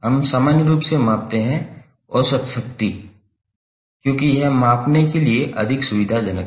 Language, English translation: Hindi, We measure in general the average power, because it is more convenient to measure